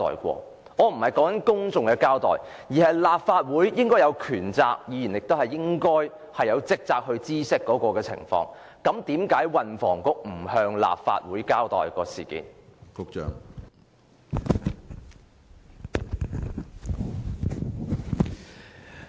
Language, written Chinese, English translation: Cantonese, 我並非指向公眾交代，而是立法會應有權責，以及議員亦應有職責知悉有關情況，為何運輸及房屋局不向立法會交代事件？, I am not discussing public accountability . It is indeed the power and responsibility of the Legislative Council and of the Members to be informed of such an incident . Why the Transport and Housing Bureau has not done so?